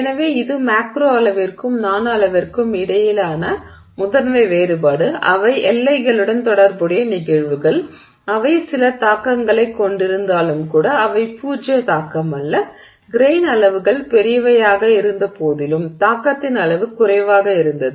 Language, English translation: Tamil, So, that's the primary difference between the macro scale and the nanoscale and therefore phenomena which were associated which are associated with the boundary even though they had some impact not zero impact, non zero impact it had even in the case where the grain sizes were large but the extent of the impact was minimal